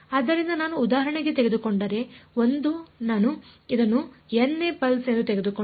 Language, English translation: Kannada, So, if I take for example, 1 if I take this to be the n th pulse